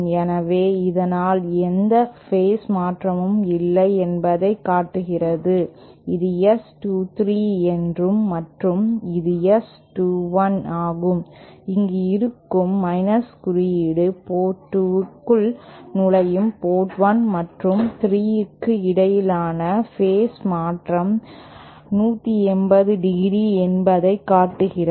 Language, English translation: Tamil, So, this shows that there is no phase shift between say, this is S 23 and this is S21, the presence of a negative sign shows that the phase shift between ports 1 and 3 for power entering port 2 is 180¡